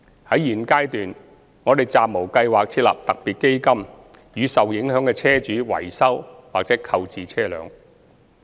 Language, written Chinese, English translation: Cantonese, 在現階段，我們暫無計劃設立特別基金予受影響的車主維修或購置車輛。, At present we have no plan to set up a special fund for vehicle owners affected to repair or procure vehicles